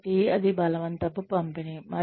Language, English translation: Telugu, So, that is a forced distribution